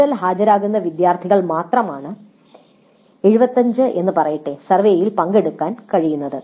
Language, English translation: Malayalam, Only those students whose attendance is more than, let us say 75% can participate in the survey